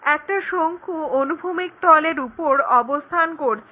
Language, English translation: Bengali, Now, if a cone is resting on a horizontal plane